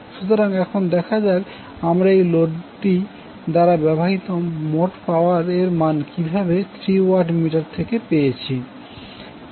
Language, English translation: Bengali, So now let us see how we will find the value of the total power being consumed by this load with the help of the reading which we get from these three watt meters